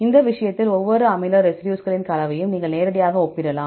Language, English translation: Tamil, In this case, you can directly compare the composition of each amino acid residues right